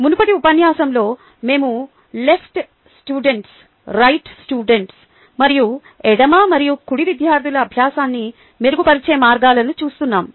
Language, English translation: Telugu, just to recall, we were looking at the left students, right students and means of improving the learning of left and right students in the previous lecture